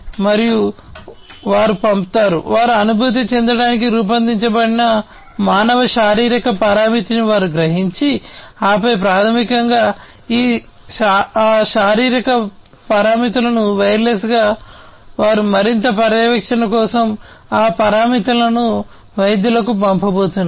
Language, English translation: Telugu, And they send, they sense the human physiological parameter that they have been designed to sense and then basically those physiological parameters wirelessly they are going to send those parameters to the doctors for further monitoring